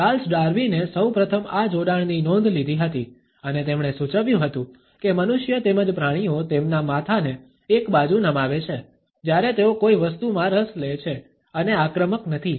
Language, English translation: Gujarati, Charles Darwin was the first to note this association and he had suggested that human beings as well as animals tilt their heads to one side, when they become interested in something and are not aggressive